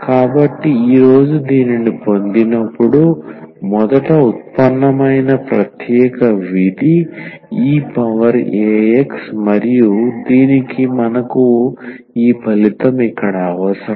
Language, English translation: Telugu, So, the first to derive, today will be deriving this when our special function is e power a x and for that we need this result here that this